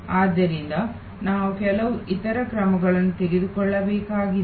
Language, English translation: Kannada, So, we have to therefore, do certain other take some other actions